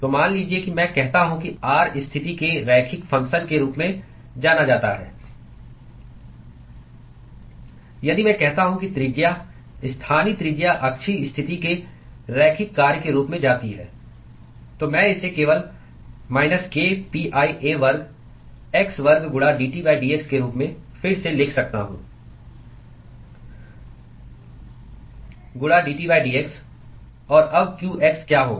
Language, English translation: Hindi, So, supposing I say that r goes as a linear function of the position if I say that the radius of the local radius goes as the linear function of the axial position, then I could simply rewrite this as minus k pi a square x square into dT by dx, into dT by dx